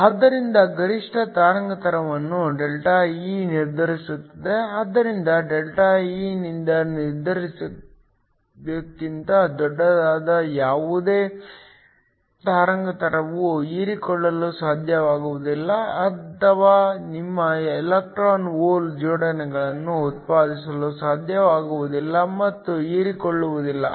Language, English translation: Kannada, So, The maximum wavelength is determined by ΔE, so any wavelength that is larger than that determine by ΔE will not be able absorb or will not be able to produce your electron hole pairs and will not get absorbed